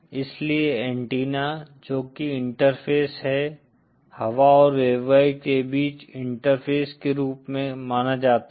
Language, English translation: Hindi, ThatÕs why antennas which are interface, often considered as interface between air and waveguide